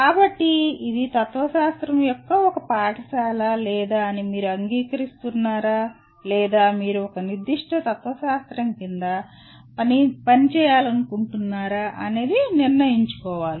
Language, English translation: Telugu, So this is one school of philosophy or it is for you to decide whether you agree or whether you would like to operate under a particular school of philosophy